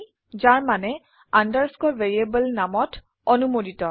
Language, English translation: Assamese, Which means an underscore is permitted in a variable name